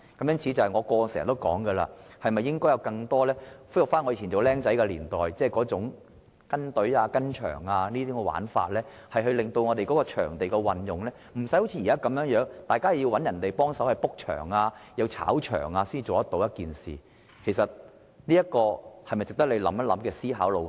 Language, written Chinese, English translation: Cantonese, 因此，我過去經常說，應該恢復我年輕時代這種在球場"跟隊"的做法，令場地運用不需要好像現在般，大家要找別人幫忙預訂場地，甚至會出現"炒場"的情況，這是一個值得局長思考的路向。, In the past I frequently advocated the revival of the on - the - spot queuing practice of my younger days . Through on - site queuing we no longer need to ask others to help make the venue booking thus putting an end to the touting activities . This approach is worth the consideration of the Secretary